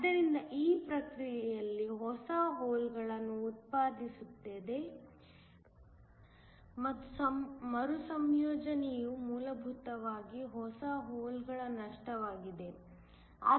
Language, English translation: Kannada, So, in this process generates new holes and the recombination basically is to loss of new holes